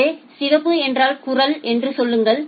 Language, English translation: Tamil, So, say red means voice